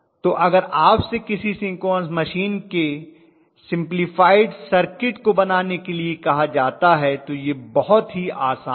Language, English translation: Hindi, So if you are asked to draw simplified equivalent circuit of a synchronous machine its very very simple